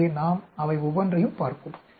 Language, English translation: Tamil, So, we will look at each one of them